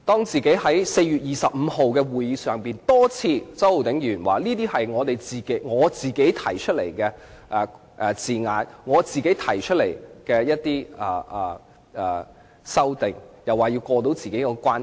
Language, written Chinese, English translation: Cantonese, 在4月25日的專責委員會會議上，周浩鼎議員多次表示有關修訂是他自己提出的，要過到他自己那關。, At the Select Committees meeting held on 25 April Mr Holden CHOW indicated repeatedly that the amendments in question were made by him and he had no qualms about making them